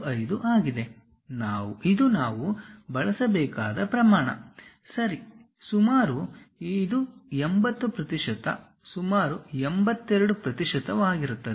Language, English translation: Kannada, 8165; this is the scale what we have to use it, approximately it is 80 percent, 82 percent approximately